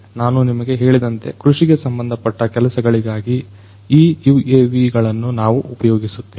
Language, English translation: Kannada, So, I told you that we use these UAVs for agricultural purposes